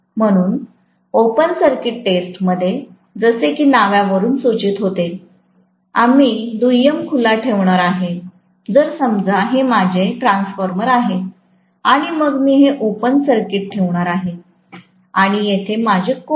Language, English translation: Marathi, So, in open circuit test, as the name indicates, we are going to keep the secondary open, so let’s say this is my transformer, right